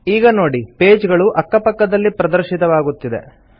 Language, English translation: Kannada, You see that the pages are displayed in side by side manner